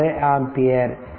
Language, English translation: Tamil, 846 ampere right